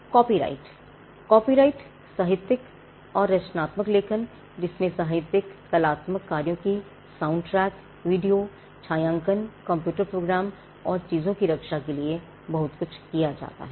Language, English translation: Hindi, Copyrights: copyrights are used to protect literary and creative works, literary artistic works soundtracks videos cinematography computer programs and a whole lot of things